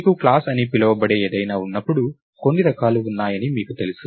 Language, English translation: Telugu, So, any time when you have something called a class, you know that there are certain types